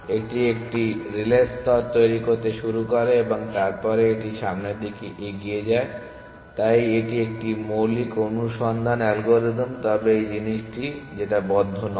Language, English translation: Bengali, It starts constructing a relay layer and then it pushes forward essentially, so that is a basic search algorithm no closed, but this thing